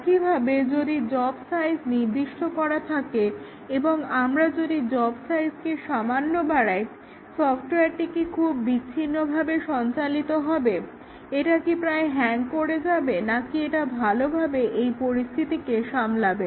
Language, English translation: Bengali, Similarly, if the job size is specified something, and if we give slightly larger job size, will the software perform very discontinuously, it will almost hang or will it gracefully handle this